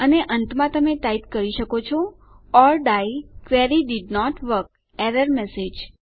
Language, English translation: Gujarati, And you can type at the end or die Query didnt work some error message